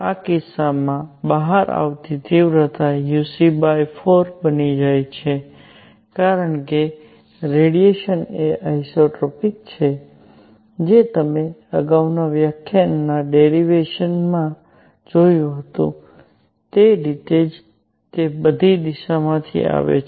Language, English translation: Gujarati, In this case, the intensity coming out becomes uc by 4 because the radiation is isotropic its coming from all direction as you saw in the derivation in the previous lecture